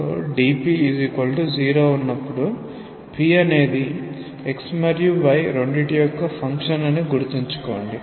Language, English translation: Telugu, So, when you have dp equal to 0 remember that now p is a function of both x and y